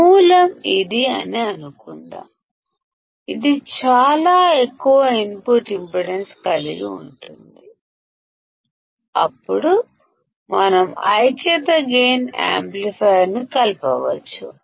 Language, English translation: Telugu, Suppose the source is this one, which has extremely high input impedance; then we can connect the unity gain amplifier